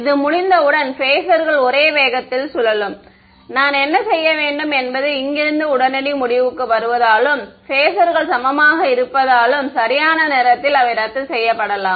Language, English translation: Tamil, The phasors will rotate at the same speed once this is done, what do I have to I mean the immediate conclusion from here is because the phasors are equal they can get cancelled off right right